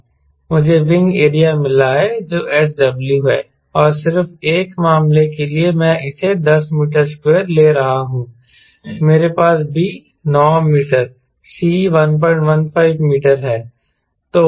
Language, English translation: Hindi, i have got wing area, if s, w and just for a case, i am taken ten meter square, i have b as nine meter, c as one point one, five meter